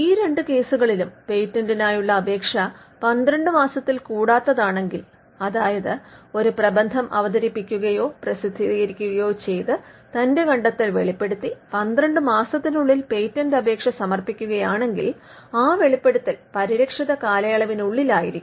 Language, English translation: Malayalam, In these two cases if the application for the patent is made in not later than twelve months, that is from the date of disclosure by way of reading a paper or publishing a paper within twelve months if a patent application is filed then it would be within the protected period